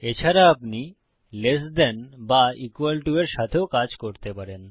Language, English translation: Bengali, You can also do the same with less than or equal to